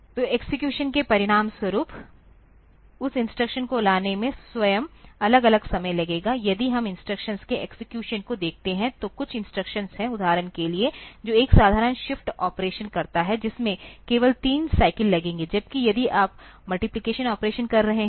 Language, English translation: Hindi, So, as a result the execution, the fetching of that instruction itself will take different amount of time, if we look into the execution of instructions, there is some instructions; for example, which does a simple shift operation, that may take only three cycles, whereas, if you are taking the multiplication operation